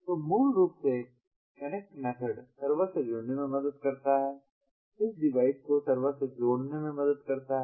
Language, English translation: Hindi, so basically, the connect method helps to connect with the server, helps to connects this device with the server